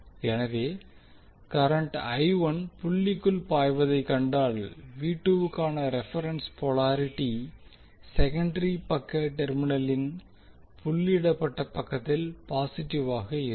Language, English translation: Tamil, So if you see the current I 1 is flowing inside the dot the reference polarity for V2 will have positive at the doted side of the terminal on the secondary side